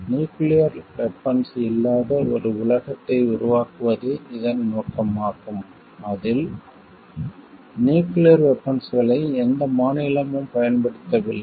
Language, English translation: Tamil, It is an objective to create a world, which is free of nuclear weapons in which nuclear weapons are not used by any of the states